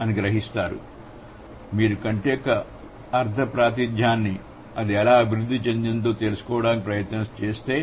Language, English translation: Telugu, So, if you try to find out the semantic representation of I, so how it has developed